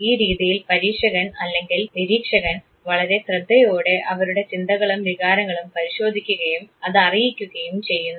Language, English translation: Malayalam, In this method the experimenter or the observer carefully examines and reports his or her own thoughts and feelings